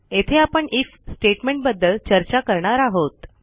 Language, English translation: Marathi, Here we will discuss the IF statement